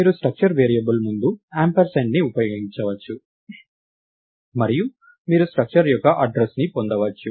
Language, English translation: Telugu, You can put an ampersand before a structure variable and you can get the address of the structure